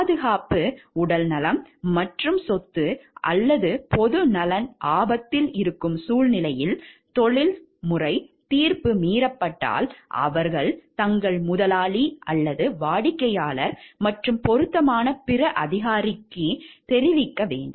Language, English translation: Tamil, If the professional judgment is overruled under circumstances, where the safety health and property or welfare of the public are endangered, they shall notify their employer or client and such other authority as may be appropriate